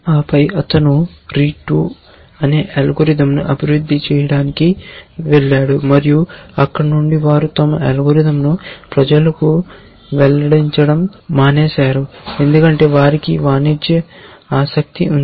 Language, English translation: Telugu, And then he went on to develop algorithm called rete 2 and from there onwards they stop disclosing their algorithm to the public because they have commercial interest